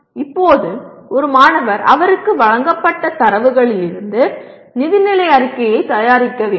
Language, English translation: Tamil, Now a student is required to prepare a financial statement from the data provided